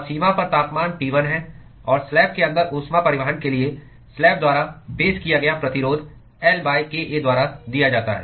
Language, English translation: Hindi, And the temperature at the boundary is T 1l and the resistance offered by the slab for heat transport inside the slab is given by L by kA